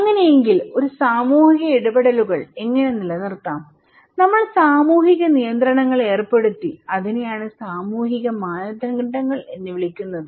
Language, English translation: Malayalam, Then so, how to maintain that social interactions, we put social control that we called social norms okay